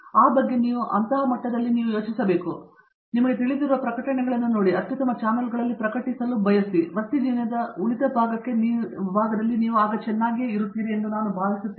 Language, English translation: Kannada, And I think look for those, look for those publications you know, aspire to be to publish in the best channels and I think you will be just fine for the rest of your career